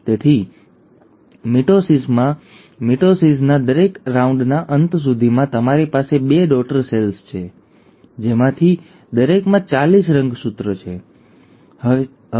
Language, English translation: Gujarati, So in mitosis, by the end of every round of mitosis, you will have two daughter cells, each one of them containing forty six chromosomes